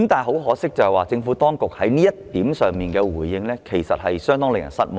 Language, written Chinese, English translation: Cantonese, 可惜的是，政府當局對此的回應教人深感失望。, Regrettably the Administrations reply in this respect is very disappointing